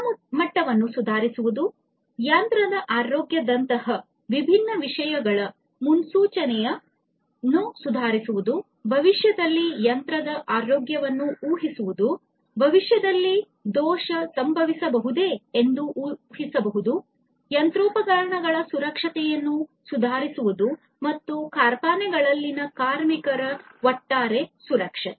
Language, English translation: Kannada, Improving the quality, improving the predictive predictability; predictability of different things like the health of the machine; in the future predicting the health of the machine, predicting whether a fault can happen in the future and so on, and improving the safety of the machinery and the safety, overall safety of the workers in the factories